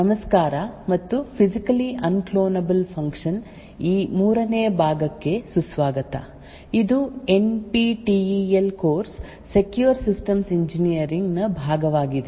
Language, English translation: Kannada, this 3rd part of physically unclonable functions, this is part of the NPTEL course Secure Systems Engineering